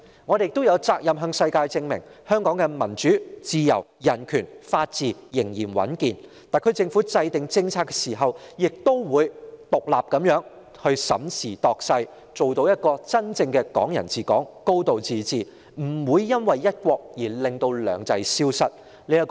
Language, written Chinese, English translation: Cantonese, 我們亦有責任向全球證明，香港的民主、自由、人權和法治仍然穩健，特區政府在制訂政策時仍會獨立地審時度勢，做到真正的"港人治港"和"高度自治"，不會因為"一國"而令"兩制"消失。, We are also duty - bound to prove to the world that democracy freedom human rights and the rule of law in Hong Kong remain stable and healthy that the SAR Government will consider the situation and circumstances independently in the formulation of policies with a view to ensuring the true realization of Hong Kong people ruling Hong Kong and high degree of autonomy so that two systems will not disappear as a result of one country